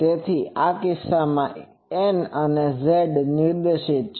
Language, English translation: Gujarati, So, n in this case is z directed